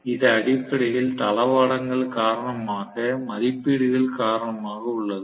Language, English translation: Tamil, It is essentially due to logistics, due to the ratings and so on